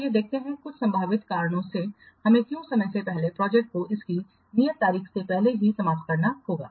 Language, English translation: Hindi, Let's see some of the possible reasons why we have to prematurely terminate the project before its due date